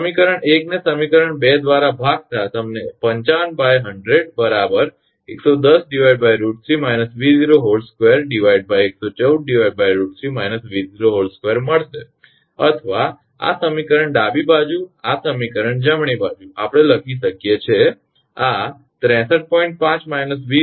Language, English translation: Gujarati, Dividing equation 1 by equation 2 you will get 55 by 100 is equal to 100 by root 110 by root 3 minus V 0 whole square divided by 114 by root 3 minus V 0 whole square or this equation this equation left hand side right we can write, this will be 63